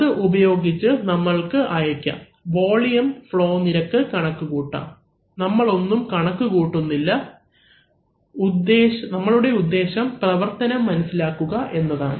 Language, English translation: Malayalam, So, this you can, using this you can deliver, compute the volume flow rate, we are not computing anything we are object is to understand only the operation